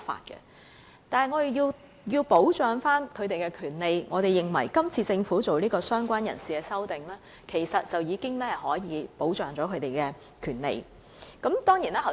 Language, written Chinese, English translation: Cantonese, 然而，我們仍要保障他們的權利，我們認為政府是次就"相關人士"提出的修正案已可保障他們的權利。, Yet we have to protect their rights . We consider that the amendment on related person proposed by the Government this time around can protect their rights